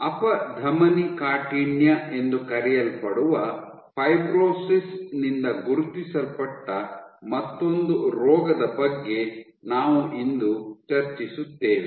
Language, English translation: Kannada, Today we will discuss another disease again marked by fibrosis which is called Atherosclerosis